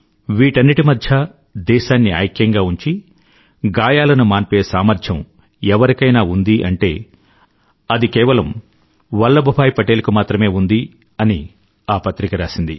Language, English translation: Telugu, The magazine further observed that amidst that plethora of problems, if there was anyone who possessed the capability to unite the country and heal wounds, it was SardarVallabhbhai Patel